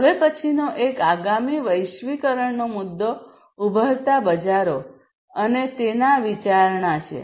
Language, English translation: Gujarati, The next one the next globalization issue is the emerging markets and its consideration